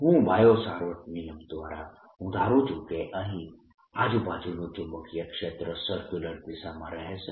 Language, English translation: Gujarati, i anticipate by biosphere law that magnetic field around this is going to be the circular direction